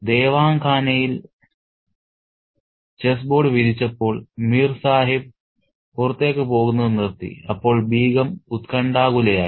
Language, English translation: Malayalam, When the chessboard was spread in Devankana and Mir Sahib stopped going out, the Begum became edgy